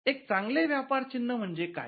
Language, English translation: Marathi, What is a good trademark